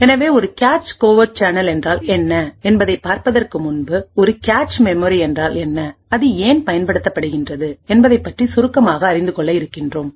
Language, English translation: Tamil, So, let us start with a cache covert channel so before we go into what cache covert a channel is we will have a brief introduction to what a cache memory is and why it is used